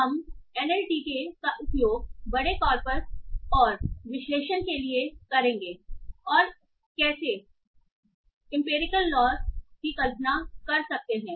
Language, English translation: Hindi, We will use NLTK to analyze large corpus and how to how we can visualize some empirical laws